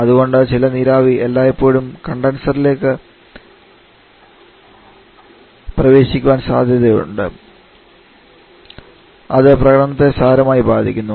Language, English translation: Malayalam, And that is why some water vapour is always likely to enter the condenser thereby severely affecting